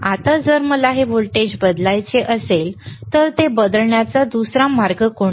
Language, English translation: Marathi, Now if I want to change this voltage, if I want to change this voltage, what is the another way of changing it